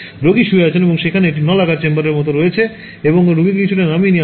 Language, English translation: Bengali, So, the patient lies down and there is a like a cylindrical chamber and into which the patient is slightly lowered